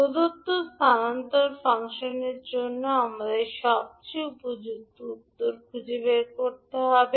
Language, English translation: Bengali, So we need to find out the most suitable answer for given transfer function